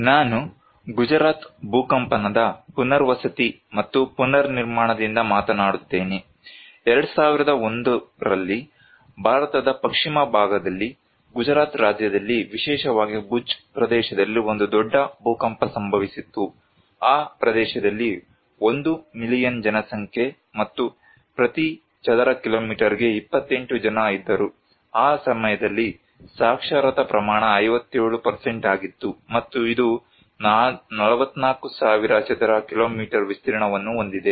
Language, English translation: Kannada, I will talk from Gujarat earthquake rehabilitation and reconstruction, in 2001, there was a big earthquake in the western part of India in Gujarat state particularly in Bhuj region which is a population of 1 million and 28 persons per square kilometer, literacy rate at that time was 57% and it has an area of 44,000 square kilometers